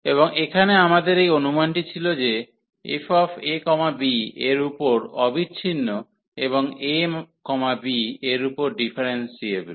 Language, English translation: Bengali, And here we had this assumptions that f is continuous on the close interval a, b and differentiable on the open interval a, b